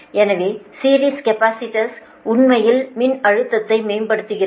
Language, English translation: Tamil, so series capacitor, actually it improves the voltage